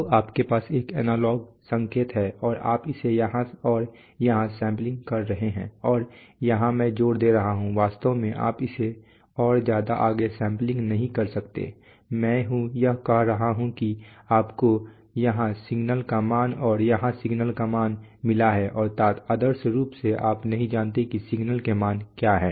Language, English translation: Hindi, So you have a signal, analog and you are getting this sampling it here and here and here I am sort of like the exaggerating actually you do not sample it so further away you something much closer but we just to drive home the point what I am saying is that, you have got the value of the signal here and the value of the signal here and ideally speaking you do not know what the values of the signals are